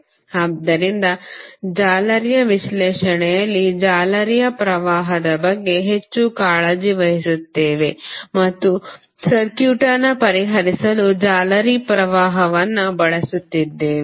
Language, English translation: Kannada, So, in the mesh analysis we are more concerned about the mesh current and we were utilizing mesh current to solve the circuit